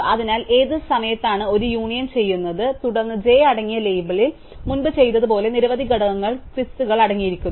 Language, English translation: Malayalam, So, which time we do an union, then label containing j contains twice as many element as a did before